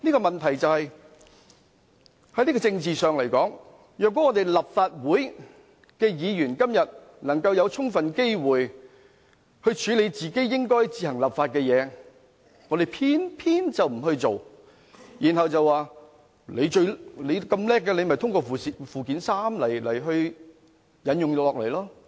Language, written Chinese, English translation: Cantonese, 問題是，在政治上來說，立法會議員今天有充分機會處理應該自行作本地立法的事項，但偏偏不去做，卻表示既然內地當局有如此能耐，便讓它們通過附件三把條文引用到香港吧。, In terms of politics the problem is that Members of the Legislative Council refuse to rightfully fulfil their function to introduce local legislation despite having sufficient chances to do so today . Instead they counter that the mighty Mainland authorities can simply apply the national laws in Hong Kong by way of Annex III